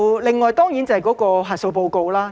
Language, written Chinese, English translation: Cantonese, 另外，當然要提到核數報告。, Moreover of course I have to mention audit reports